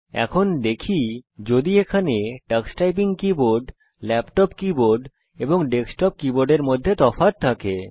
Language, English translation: Bengali, Now let us see if there are differences between the Tux Typing keyboard, laptop keyboard, and desktop keyboard